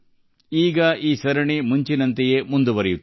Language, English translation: Kannada, Now this series will continue once again as earlier